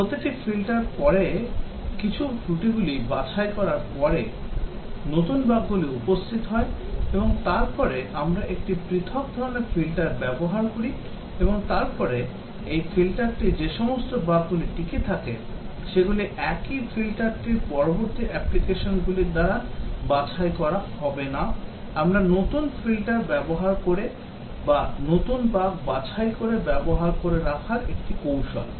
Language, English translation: Bengali, After each filter some bugs get eliminated, new bugs appear and then we use a different type of filter and then, the bugs that survive this filter would not get eliminated by further applications of the same filter we keep one using new filters or new bug removal techniques